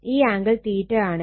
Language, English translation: Malayalam, So, angle 76